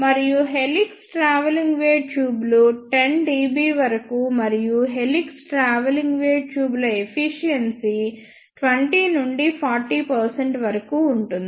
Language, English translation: Telugu, And the gain the helix travelling wave tubes can generate is up to 10 dB and the efficiency of helix travelling wave tubes is about 20 to 40 percent